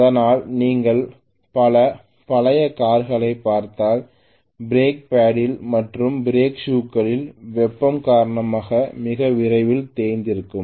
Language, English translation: Tamil, That is why if you look at many of the old cars you will see that the break paddle and the brake shoes those get worn and you know worn out very soon because of the heat generate